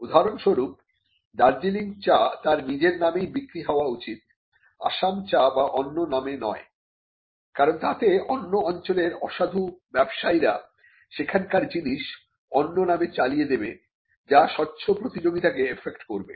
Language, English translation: Bengali, For instance, Darjeeling tea should only be sold as Darjeeling tea, we do not want that to be sold as Assam tea or any other tea, because then that will allow people who do not come from a particular territory to pass of a product as another one, and it would also affect fair competition